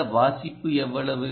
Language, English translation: Tamil, how much is that reading